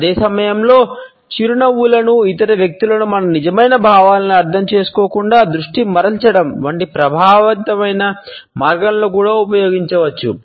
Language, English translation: Telugu, At the same time, a smiles can also be used in an effective way as manipulating agents, distracting the other people from understanding our true feelings